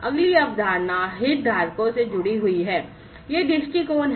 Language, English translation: Hindi, The next concept is linked to the stakeholders; these are the viewpoints